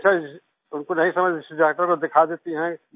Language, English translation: Hindi, Since they don't understand, they show it to the doctor